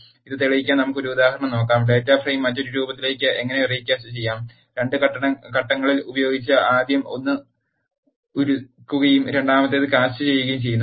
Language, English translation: Malayalam, Let us see an example to demonstrate this, how to recast the data frame into another form, using 2 steps first one is melt and the second one is cast